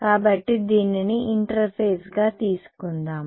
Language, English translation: Telugu, So, this is interface